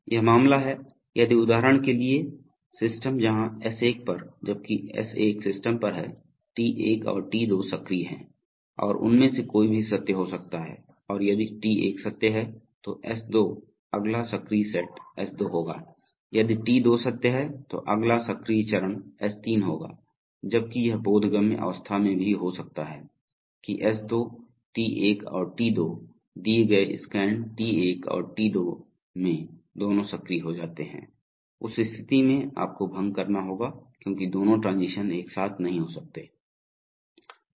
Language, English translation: Hindi, So for example this is the case where the system if, at S1 at while the system is at S1, T1and T2 are active, so any one of them can become true and if T1 is true, S2, the next active set will be S2, if T2 is to true, the next active step will be S3, while it could conceivably also happen that S2, a T1 and T2 in a, in a given scan T1 and T2 both become active, so in that case you have to dissolve because both transition cannot take place simultaneously